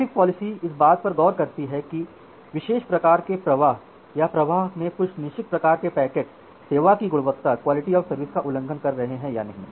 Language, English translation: Hindi, So, what traffic policing looks into, traffic policing in looks into that whether certain kind of flows or certain kind of packets in the flows is significantly violating the quality of service requirement or not